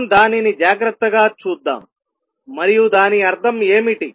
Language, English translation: Telugu, Let us look at it carefully and see what does it mean